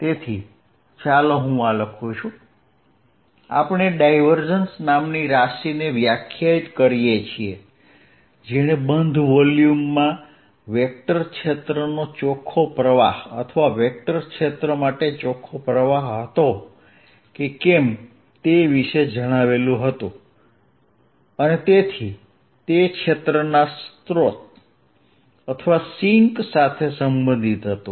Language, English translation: Gujarati, we define a quantity called divergence that told us about whether, in an enclosed volume, there was an net outflow of the vector field or net inflow for the vector field and therefore it was related to source or sink of the field